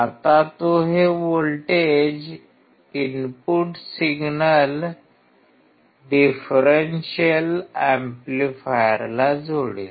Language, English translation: Marathi, Now he will connect this voltages, input signals to the differential amplifier